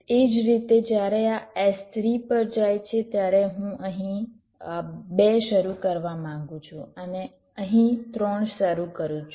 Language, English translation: Gujarati, similarly, when this goes to s three, i want to start two here and start three here